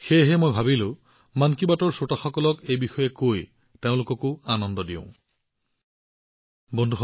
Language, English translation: Assamese, So I thought, by telling this to the listeners of 'Mann Ki Baat', I should make them happy too